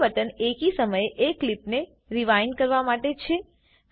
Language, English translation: Gujarati, The third button is to Rewind one clip at a time